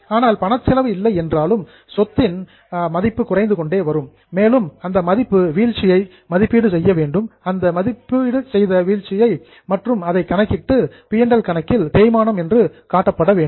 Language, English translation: Tamil, But even if you are not paying in cash, the value of your asset is falling and that value fall in the value is to be estimated and calculated and to be shown in P&L account as a depreciation